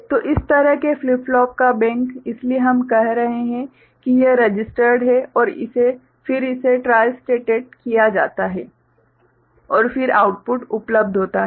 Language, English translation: Hindi, So, bank of such flip flops, so we are saying that it is registered and then this is tristated and then the output is available